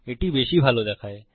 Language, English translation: Bengali, It looks a lot better